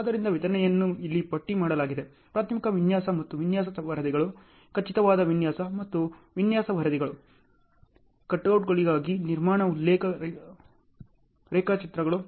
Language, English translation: Kannada, So, the deliverables are listed out here; preliminary design and design reports, definitive design and design reports, construction reference drawings for cutouts